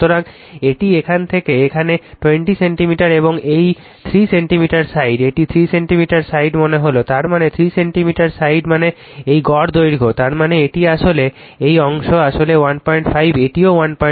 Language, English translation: Bengali, So, this is from here to here 20 centimeter and this 3 centimeter side, it 3 centimeter side means that is; that means, 3 centimeter side means this mean length; that means, this is actually this portion actually 1